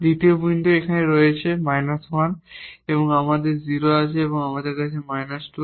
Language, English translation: Bengali, The second point we have here minus 1, we have 0 there and we have minus 2 there